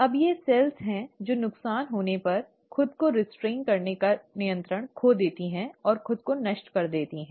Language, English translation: Hindi, Now these are cells which just lose that control of restraining itself if damages have happened and destruct themselves